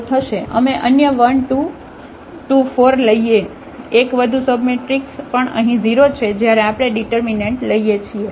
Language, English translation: Gujarati, We take any other 1 2, 2 4, one more submatrix here also this is 0 when we take the determinant